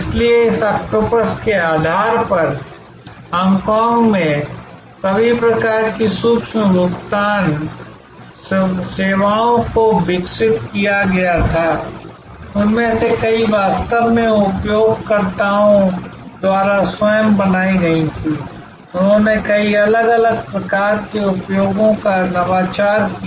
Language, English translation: Hindi, So, based on this octopus, all kinds of micro payment services were developed in Hong Kong, many of those were actually created by the users themselves, they innovated many different types of usages